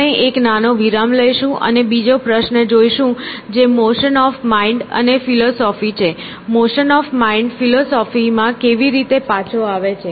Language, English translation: Gujarati, So, will take a small break and come back with the second question which is the motion of mind and philosophy; how do the motion of mind come back in philosophy